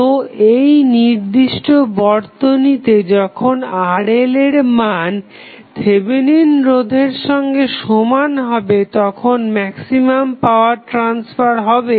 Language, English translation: Bengali, So, in this particular network, when the value of Rl is equal to Thevenin resistance, maximum power transfer happens